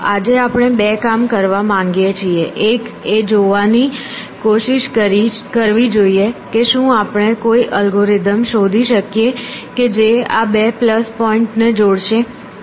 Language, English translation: Gujarati, There two things we want to do today one is try to see if we can find an algorithm which will combine these two plus points